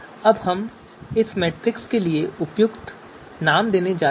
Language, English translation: Hindi, Now we are going to you know give appropriate names for this matrix